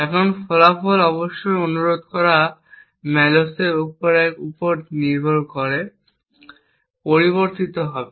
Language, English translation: Bengali, Now the result of course would vary depending on the size of the mallocs that was requested